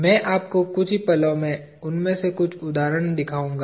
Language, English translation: Hindi, I will show you in a moment a few of those examples